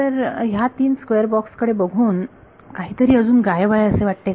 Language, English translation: Marathi, So, from these three sort of square boxes is there something that is missing still